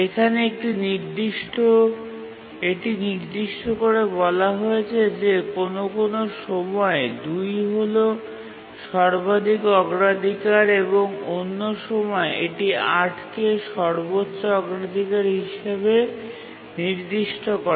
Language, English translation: Bengali, But one thing I need to clarify is that sometimes saying that 2 is the highest priority and at some other time we are using 8 as the highest priority